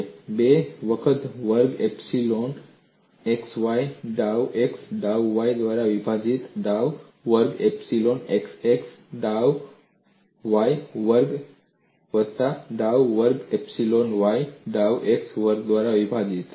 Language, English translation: Gujarati, 2 times dou squared epsilon x y divided by dou x dou y equal to dou squared epsilon xx divided by dou y squared plus dou squared epsilon yy divided by dou x squared